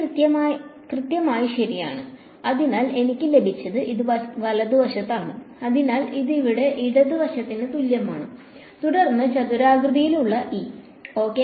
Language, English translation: Malayalam, E exactly ok; so, what I have got this is the right hand side so, therefore, this is equal to the left hand side over here then squared E ok